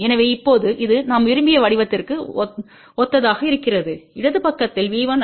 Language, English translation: Tamil, So, now this is similar to the form which we wanted V 1 I 1 on the left side, V 2 I 2 on the right hand side